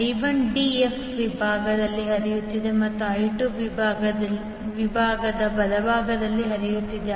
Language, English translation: Kannada, I1 is flowing in the d f segment and I2 is flowing in the right side of the segment